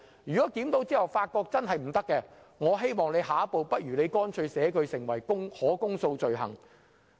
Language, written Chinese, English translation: Cantonese, 如果在檢討後發現有不妥當之處，我希望政府下一步可把相關罪行訂為可公訴罪行。, In case of any defect identified upon review I hope the Government will take the next step to stipulate the relevant offence as an indictable offence